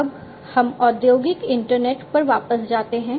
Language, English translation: Hindi, Now, let us go back to the industrial internet